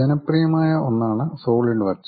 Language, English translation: Malayalam, One of the popular thing is Solidworks